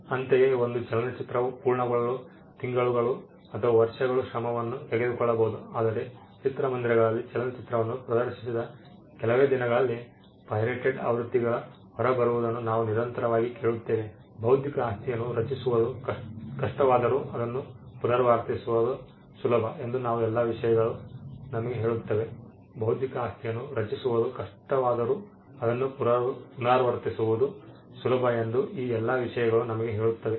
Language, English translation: Kannada, Similarly, a movie may take months or years of effort to complete, but we hear constantly about pirated versions coming out within just few days of screening of the movie in the theaters; all these things tell us that though it is hard to create an intellectual property it is easy to replicate